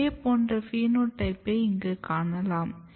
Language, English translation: Tamil, Similar kind of phenotype you can see here